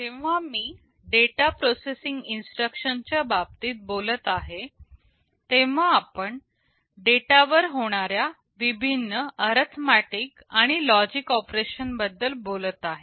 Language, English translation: Marathi, When I am talking about the data processing instructions we are talking about carrying out various arithmetic and logic operations on data